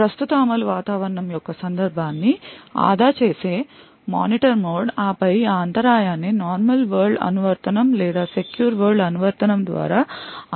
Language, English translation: Telugu, The Monitor mode which saves the context of the current executing environment and then decide whether that interrupt can be should be serviced by a normal world application or a secure world application